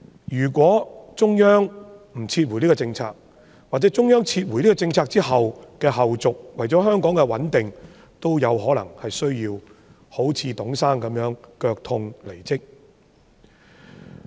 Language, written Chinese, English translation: Cantonese, 如果中央不撤回這項政策，或者作為中央撤回這項政策後的後續，為了香港的穩定，特首亦有可能需要像董先生那樣腳痛離職。, If CPG does not withdraw this policy or as a follow - up to the withdrawal of this policy by CPG the Chief Executive may also need to quit for the sake of maintaining the stability of Hong Kong just like Mr TUNG who resigned on the pretext of a pain in his leg